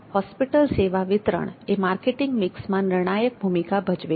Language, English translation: Gujarati, Place the distribution of hospital services play crucial role in the marketing mix